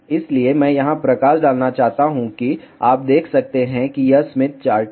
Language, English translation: Hindi, So, I want to highlight here you can see this is Smith chart